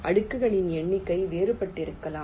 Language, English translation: Tamil, number of layers may be different, may vary